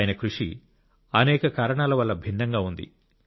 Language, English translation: Telugu, This effort of his is different for many reasons